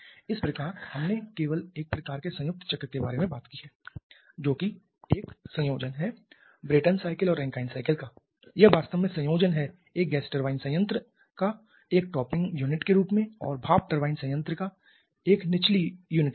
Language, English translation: Hindi, So, up to this we have talked about only one kind of combined cycle which is the combination of Brayton cycle and Rankine cycle or practically the combination of a gas turbine plant as a topping unit under steam turbine plant as a bottoming unit